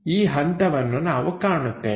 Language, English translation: Kannada, This step we will see